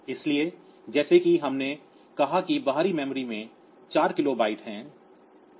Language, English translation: Hindi, So, whether as we said that there is 4 kilobyte of external memory